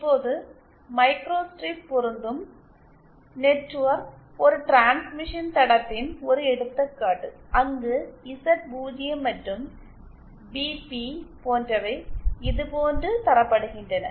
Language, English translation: Tamil, Now microstrip matching network is an example of of of a transmission line where the Z0 and BP are given like this